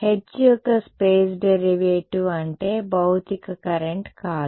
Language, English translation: Telugu, The space derivative of h that is all it is not a physical current ok